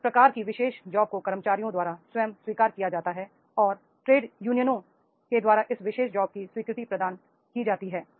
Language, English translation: Hindi, That is what sort of the particular job is the accepted by the employees by themselves and how the trade unions they are making the acceptance of this particular job